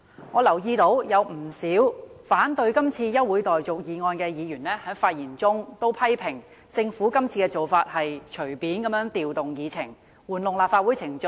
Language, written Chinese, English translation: Cantonese, 我留意到，不少反對這項休會待續議案的議員在發言時，批評政府今次的做法是隨意調動議程，玩弄議會程序。, I notice that when many Members spoke to oppose this adjournment motion they criticized the Government for arbitrarily rearranging the order of agenda items and manipulating the procedures of the Council